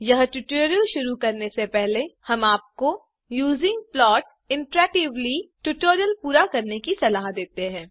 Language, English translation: Hindi, So, Before beginning this tutorial,we would suggest you to complete the tutorial on Using plot interactively